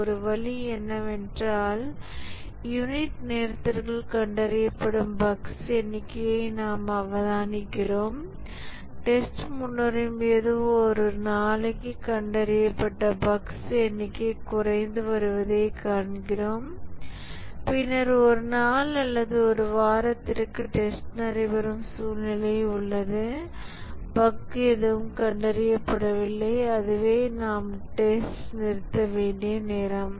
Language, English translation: Tamil, One way is that we observe the number of bugs that are getting detected over unit time and as testing progresses we find that the number of bugs detected per day is decreases and then we have a situation where testing takes place for a day or a week and no bug is detected and that's the time when we may stop testing